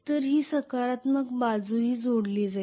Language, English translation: Marathi, So that will also be connected positive side